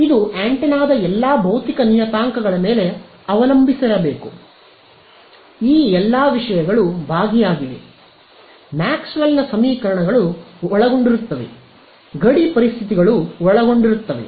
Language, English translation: Kannada, It should depend, for example, on the length of the antenna all of the physical parameter of it; that means, if all of these things are involved, Maxwell’s equations are involved boundary conditions are involved